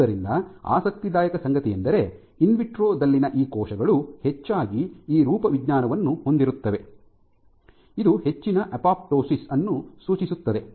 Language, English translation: Kannada, So, what is what was particularly interesting is these cells even when the cultured in vitro within the tissue culture, they often have this kind of morphology indicative of much higher apoptosis